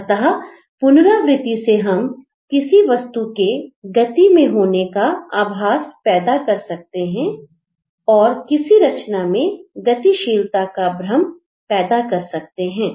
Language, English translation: Hindi, So, through repetition we can create a sense of movement, an illusion of movement in a composition